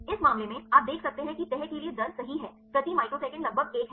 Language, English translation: Hindi, In this case, you can see the rate right for the folding is about one per microsecond